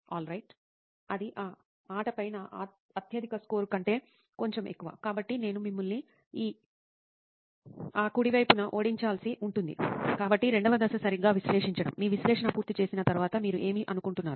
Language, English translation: Telugu, Alright, that is a bit higher than my highest score on that game, so I am going to have to beat you on that right, so the second phase is to analyse alright, what you think you do after you finish analysing